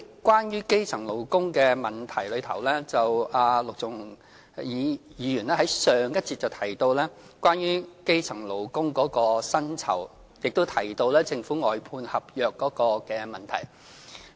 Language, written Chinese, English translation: Cantonese, 關於基層勞工的問題，陸頌雄議員在上一節提到基層勞工的薪酬，亦提到政府外判合約的問題。, As for issues relating to elementary employees Mr LUK Chung - hung mentioned in the previous session the wages of these employees as well as the Governments outsourcing contracts